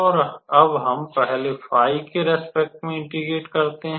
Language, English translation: Hindi, And now we integrate with respect to phi first